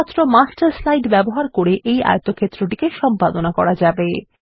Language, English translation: Bengali, This rectangle can only be edited using the Master slide